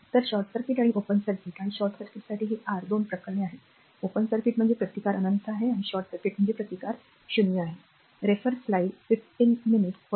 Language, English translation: Marathi, So, this is the this is the your 2 cases for short circuit and a open circuit and short circuit, open circuit means resistance is infinity, short circuit means resistance is 0, right